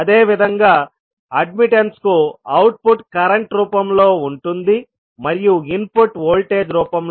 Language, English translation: Telugu, Similarly, it can be admitted also where output is in the form of current and input is in the form of voltage